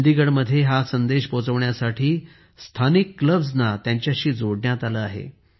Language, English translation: Marathi, To spread this message in Chandigarh, Local Clubs have been linked with it